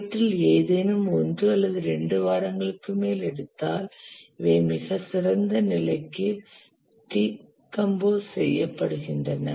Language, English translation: Tamil, If any of these takes more than a week or 2, then these are decomposed into more finer level